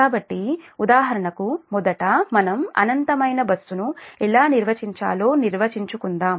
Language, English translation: Telugu, so for example, the first, let us define that how we define infinite bus